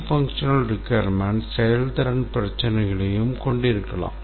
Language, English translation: Tamil, Non functional requirements can also contain performance issues